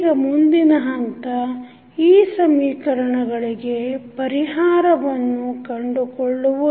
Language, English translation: Kannada, Now, the next step is the finding out the solution of these equation